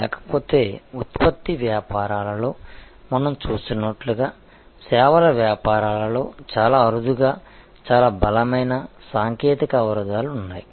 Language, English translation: Telugu, But, otherwise as we see in product businesses there are very seldom, very strong technology barriers in services businesses